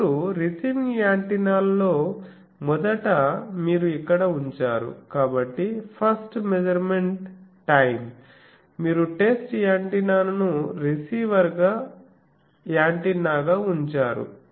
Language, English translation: Telugu, Now, in the receiving antenna first you put here, so the first measurement time you put the test antenna as receiver receiving antenna